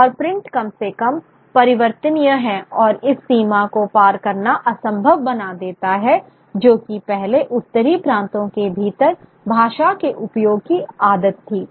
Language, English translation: Hindi, And print being the least malleable then makes this border crossing which was the habit of language use within the northern provinces sort of impossible